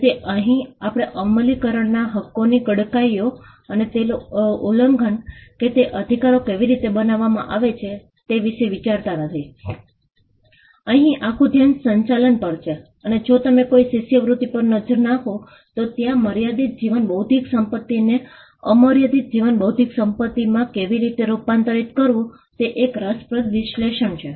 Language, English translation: Gujarati, So, we do not get into the nitty gritties of enforcement rights, and how it can get violated, and how the rights are created; here, the entire focus is on managing and if you look at some of the scholarship, there is an interesting analysis of how to convert limited life intellectual property into unlimited life intellectual property